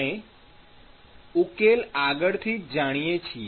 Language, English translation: Gujarati, We know the solution separately